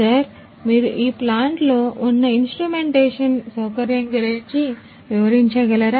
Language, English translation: Telugu, So, sir could you please explain about the instrumentation facility that you have in this plant